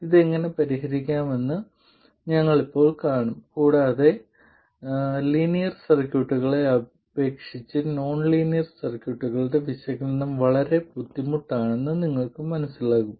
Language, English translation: Malayalam, Now we will see how to solve this and you will understand that the analysis of nonlinear circuits is considerably harder than linear circuits